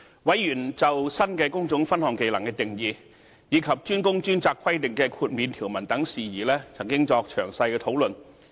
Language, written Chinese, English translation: Cantonese, 委員就新的工種分項技能定義，以及"專工專責"規定的豁免條文等事宜曾作詳細討論。, The Subcommittee has discussed in detail matters relating to the definitions of skills for the newly added trade divisions as well as the exemption provisions in DWDS requirement